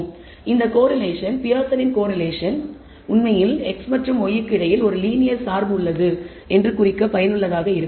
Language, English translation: Tamil, So, this correlation, Pearson’s correlation, actually is useful to indicate there is a linear dependency between x and y